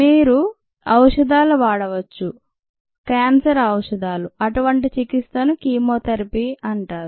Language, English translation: Telugu, you use drugs, cancer drugs, and such a treatment is called chemotherapy